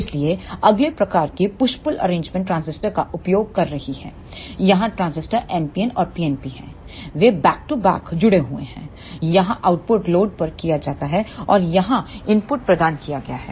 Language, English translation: Hindi, So, the next type of push pull arrangement is using the complementary transistors here the transistor are NPN and PNP they are connected back to back here the output is taken any load and the input is provided here